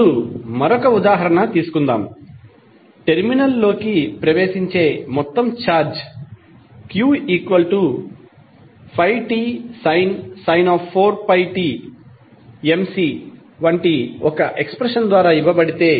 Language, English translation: Telugu, Now, let us take another example, if the total charge entering a terminal is given by some expression like q is equal to 5t sin 4 pi t millicoulomb